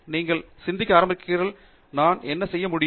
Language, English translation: Tamil, I mean you start thinking, you know, what can I do